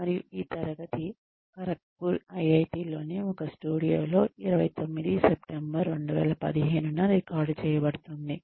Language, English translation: Telugu, And, this class is being recorded on the, 29th September 2015, in a studio in IIT, Kharagpur